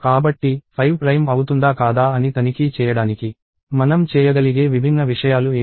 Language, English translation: Telugu, So, what are the different things that we can do to check whether 5 is prime or not